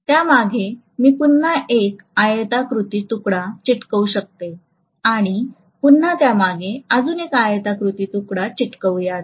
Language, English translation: Marathi, Behind that, I can again stick one more rectangular piece, behind that, I can stick one more rectangular piece, are you getting my point